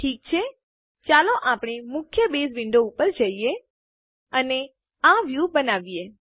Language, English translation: Gujarati, Okay, let us go back to the main Base window, and create this view